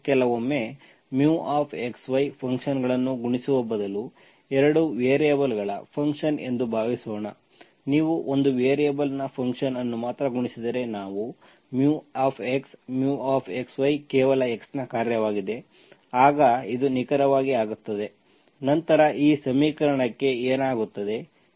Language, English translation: Kannada, Suppose sometimes instead of multiplying mu xy functions, the function of 2 variables, if you multiply only function of one variable, let us we mu x, mu x, y is only function of x, then if it becomes exact, then what happens to this equation